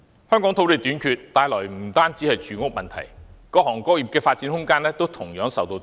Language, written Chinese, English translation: Cantonese, 香港土地短缺，帶來的不單是住屋問題，各行各業的發展空間也同樣受到擠壓。, The land shortage in Hong Kong not only causes problems in housing but also compresses the room for development for various trades and industries